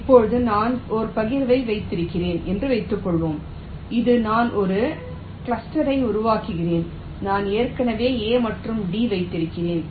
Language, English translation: Tamil, now lets suppose i have a partition which i am creating, a cluster which i am creating, for i have already placed a and b